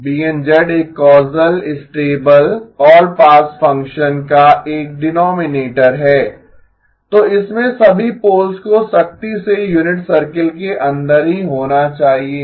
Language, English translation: Hindi, BN of z is a denominator of a causal stable all pass function, so it has to have all poles strictly inside the unit circle